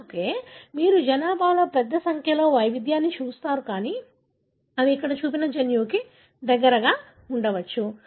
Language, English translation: Telugu, That is why you see a large number of variation in the population, but they may be present close to a gene that is what shown here